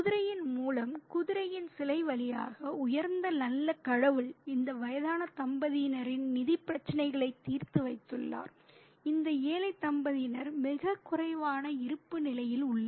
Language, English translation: Tamil, Through the horse, through the statue of the horse, the great and the good God has resolved the financial problems of this aged couple, this barren couple who are on a very minimum bare existence